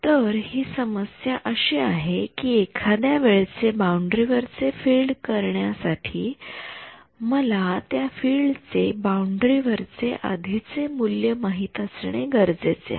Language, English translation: Marathi, The problem is that in order to get the field on the boundary at some time instance I need to know the value of the field on the boundary at a previous instance